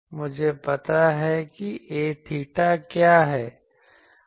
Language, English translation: Hindi, I know what is A theta